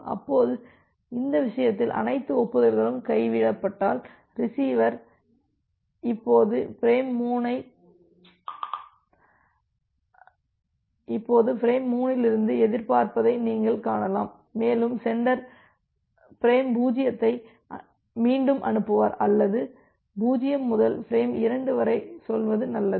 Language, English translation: Tamil, Now in this case, if all the acknowledgement gets dropped so, you can see that the receiver is now expecting from frame 3 and the sender will retransmit frame 0 or better to say from 0 to frame 2